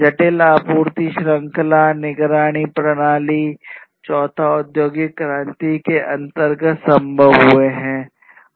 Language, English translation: Hindi, Complex supply chain, monitoring systems, these are all a reality now in this fourth industrial revolution